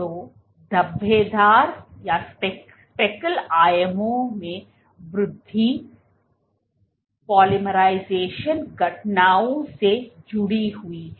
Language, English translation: Hindi, So, increase in speckle dimensions is linked to polymerization events